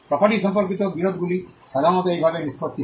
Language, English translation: Bengali, Now disputes with regard to property is normally settled in this way